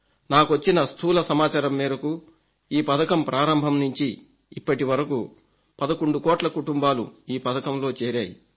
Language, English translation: Telugu, The preliminary information that I have, notifies me that from launch till date around 11 crore families have joined this scheme